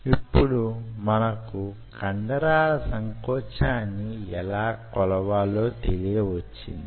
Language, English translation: Telugu, so now we know how we can measure the muscle contraction